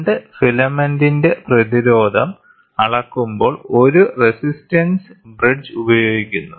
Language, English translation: Malayalam, A resistance bridge is employed when the resistance of the 2 filament is measured